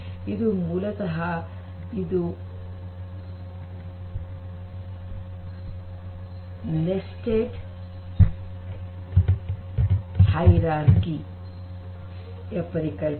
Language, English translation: Kannada, And that is basically the nested hierarchy concept